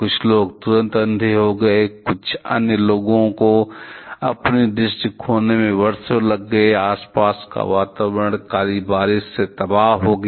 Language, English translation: Hindi, Some people were blind instantaneously; some other took years to lose their sight, surrounding environment was devastated by black rain